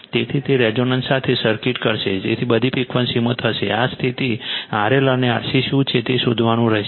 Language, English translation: Gujarati, So, it would circuit with resonance will happen at in all frequencies right you have to find out what is the R L and R C this one this condition